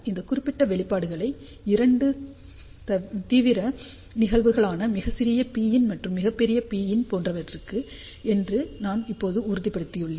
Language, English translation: Tamil, So, I have just confirmed this particular expression for two extreme cases; when P in is very small and when P in is very large